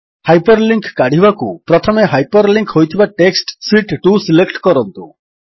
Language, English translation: Odia, To remove the hyperlink, first select the hyperlinked text Sheet 2